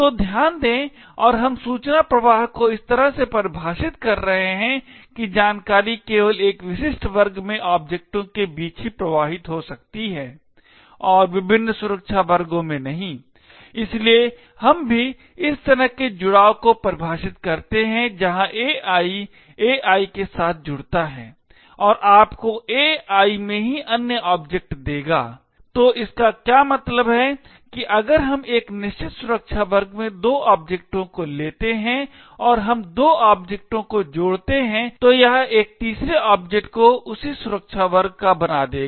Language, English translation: Hindi, So note and we are defining the information flow in such a way that information can flow only between objects in a specific class and not across different security classes, we also hence define the join relation as follows where AI joins with AI will give you other object in AI itself, so what it means is that if we take two objects in a certain security class and we join is two objects it would create a third object the same security class